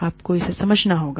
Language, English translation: Hindi, You have to, understand it